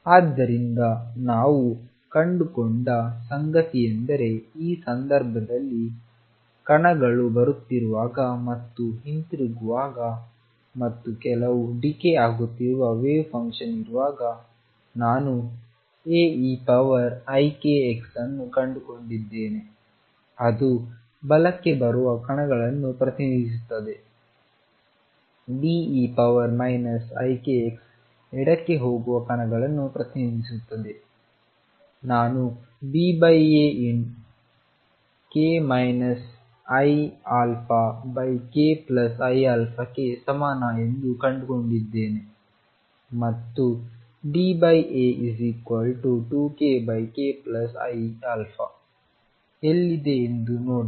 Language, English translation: Kannada, So, what we found is that in this case when particles are coming and going back and there is some decaying wave function here I have found A e raised to i k x which represent particles coming to right B e raised to minus i k x represent particles going to left I have found that B over A is equal to let see where it is k minus i alpha over k plus i alpha and D over A is 2 k A over k plus i alpha